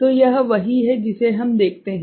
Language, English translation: Hindi, So, this is the one that we see right